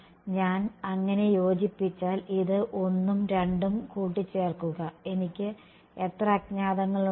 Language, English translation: Malayalam, If I combine so, combine this 1 and this 2, how many unknowns do I have